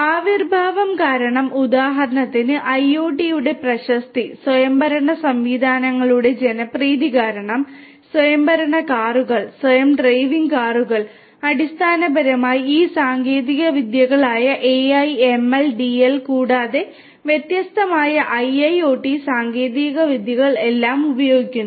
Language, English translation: Malayalam, Due to the advent, the popularity of IoT for instance, due to the popularity of autonomous systems for example, you know autonomous cars, self driving cars which basically use a combination of all of these technologies AI, ML, DL plus different different IIoT technologies are used